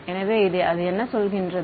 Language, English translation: Tamil, So, what does that say